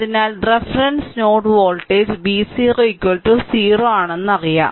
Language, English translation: Malayalam, So, reference node voltage say v 0 is equal to 0 this we know